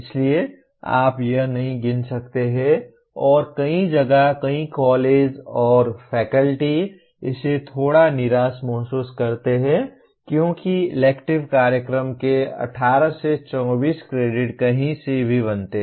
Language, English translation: Hindi, So you cannot count that and many places, many colleges and faculty feel a little disappointed with this because electives do constitute anywhere from 18 to 24 credits of a program